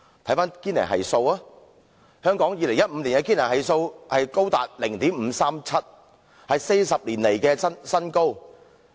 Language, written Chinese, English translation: Cantonese, 翻看堅尼系數 ，2015 年香港的堅尼系數高達 0.537， 是40年來新高。, If we refer to the Gini Coefficient we will find that the Gini Coefficient of Hong Kong in 2015 was 0.537 the highest in 40 years